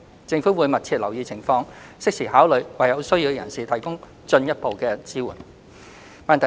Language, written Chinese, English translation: Cantonese, 政府會密切留意情況，適時考慮為有需要的人士提供進一步的支援。, The Government will monitor the situation closely and will consider providing further assistance to persons in need in a timely manner